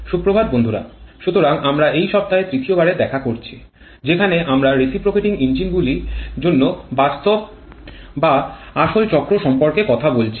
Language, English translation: Bengali, Morning friends, so we are meeting for the third time this week where we are talking about the real or actual cycles for reciprocating engines